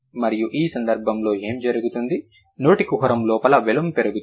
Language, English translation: Telugu, And in this case what happens, the vealum inside the mouth cavity that gets raised